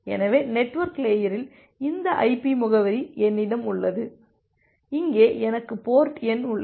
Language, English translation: Tamil, So, at the network layer I have this IP address and here I have the port number